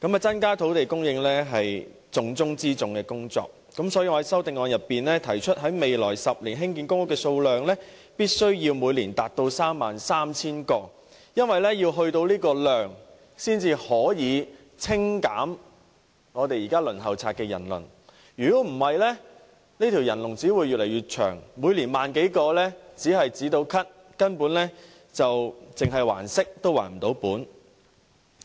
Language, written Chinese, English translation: Cantonese, 增加土地供應是重中之重的工作，所以，我在修正案中提出在未來10年興建公屋的數量必須每年達到 33,000 個，因為達到這個數量，才可以清減現時公屋輪候冊上的人數，否則這條人龍只會越來越長，政府每年只提供1萬多個公屋單位，只能"止咳"，只能還息不能還本。, To increase land supply is of utmost importance . Hence I propose in my amendment to increase the annual construction of PRH units in each of the coming 10 years to 33 000 units . Only such a production volume can help reduce the number of applicants on the PRH Waiting List; otherwise the queue will just get longer and longer